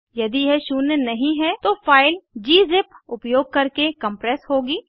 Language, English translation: Hindi, If not zero, the file will be compressed using gzip